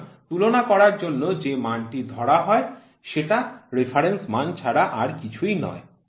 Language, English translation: Bengali, So, the value which agreed on reference for comparison is nothing, but the reference value